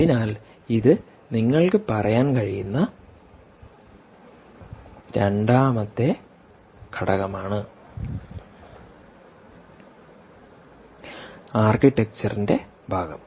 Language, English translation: Malayalam, so this is the second element you can say which is part of the architecture